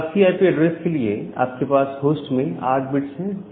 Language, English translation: Hindi, For a class C IP address, you have 8 bits in host